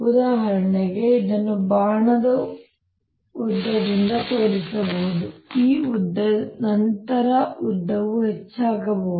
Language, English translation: Kannada, for example, it could be shown by the length of the arrow, this length